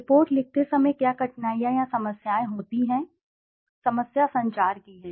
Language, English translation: Hindi, What are difficulties or problems while writing a report, the problem is of communication